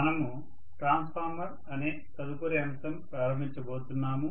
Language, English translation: Telugu, So we are going to start on the next topic which is Transformers, okay